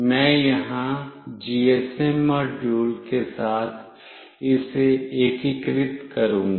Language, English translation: Hindi, I will just integrate it along with the GSM module here